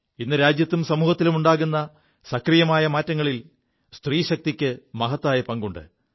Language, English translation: Malayalam, The country's woman power has contributed a lot in the positive transformation being witnessed in our country & society these days